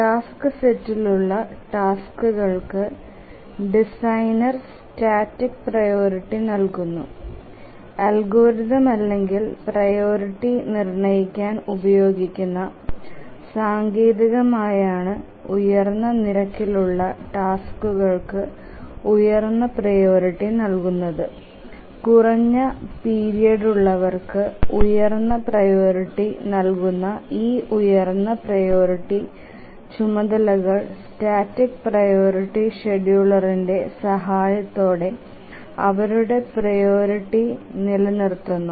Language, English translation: Malayalam, The designer assigns static priority to the tasks that are there in the task set and the algorithm or the technique that he uses to assign priority is that the tasks which have higher rate are given as higher priority those who have shorter period are assigned higher priority and these higher priority tasks they maintain their priority this static priority scheduler once the designer assigns priority to a task it does not change and then a higher priority task always runs even if there are lower priority tasks